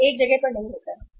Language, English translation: Hindi, It does not happen at one place